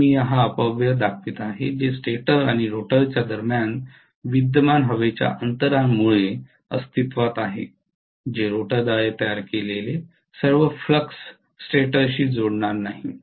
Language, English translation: Marathi, So I am showing this wastage what goes away because of the air gap that is existing between the stator and rotor all the flux produced by the rotor will not linked with stator